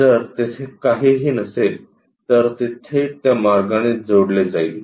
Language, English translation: Marathi, If there is nothing, it will be straight away connected in that way